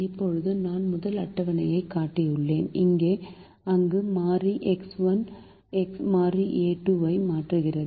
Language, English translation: Tamil, now i have shown the first table where the variable x one is replacing the variable a two